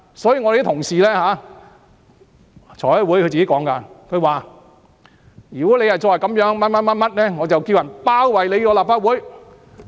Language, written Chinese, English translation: Cantonese, 所以，有同事在財務委員會說，"如果你再這樣，我便叫人包圍立法會"。, So a colleague said in the Finance Committee If you go on doing this I will tell people to besiege the Legislative Council